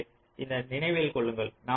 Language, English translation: Tamil, ok, so just remember this